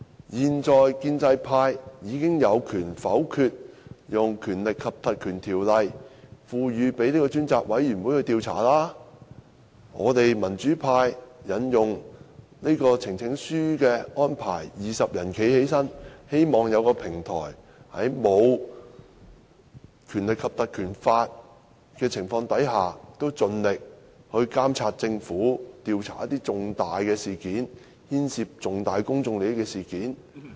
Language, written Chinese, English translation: Cantonese, 現在建制派已經有權否決運用《立法會條例》賦權專責委員會調查，我們民主派以提交呈請書的方式，由20位議員站立，希望有一個平台，在無法引用《立法會條例》的情況下，盡力監察政府，調查一些牽涉重大公眾利益的事件。, At present the pro - establishment camp already has the power to veto the invocation of the Legislative Council Ordinance to empower a select committee to conduct inquiries . Since we from the pro - democracy camp are unable to invoke the Legislative Council Ordinance the only power we can exercise to monitor the Government is to present a petition and have 20 Members rise in support thus forming a select committee to investigate major incidents having a bearing on public interests